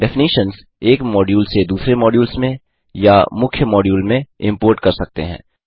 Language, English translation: Hindi, Definitions from a module can be imported into other modules or into the main module